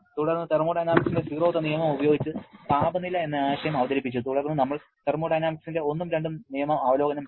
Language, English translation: Malayalam, Then, the concept of temperature was introduced using the zeroth law of thermodynamics, then we reviewed the first and second law of thermodynamics